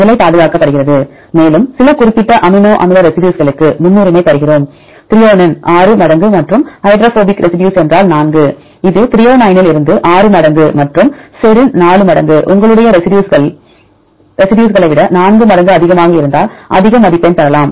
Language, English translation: Tamil, Position conserved, also we give some preference to some specific amino acid residues, if threonine 6 times and 4 hydrophobic residues, this different from threonine 6 times and serine 4 times your similar type of residues you can have more score see this case we gave weightage